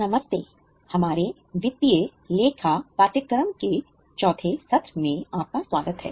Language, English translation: Hindi, Namaste welcome to the fourth session of our financial accounting course